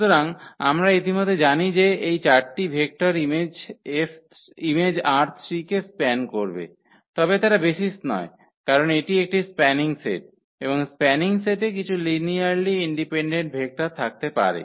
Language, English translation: Bengali, So, we already know that these 4 vectors will span image R 3, but they are they are not the basis because this is this is the spanning set, and spanning set may have some linearly dependent vectors